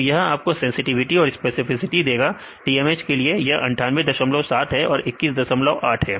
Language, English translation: Hindi, So, this will give you sensitivity and specificity for the case of the TMH this is 98